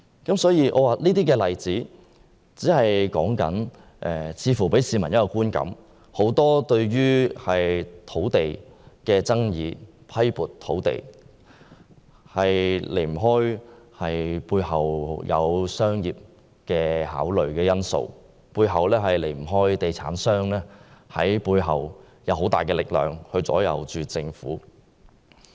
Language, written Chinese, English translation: Cantonese, 這些例子似乎給予市民一個觀感，就是在政府批撥土地的決定背後，離不開商業考慮因素，離不開地產商以很大的力量左右政府。, These examples give the public an impression that commercial factors are the driving force behind the Governments decision on the allocation of land meaning that property developers have great influence on the Government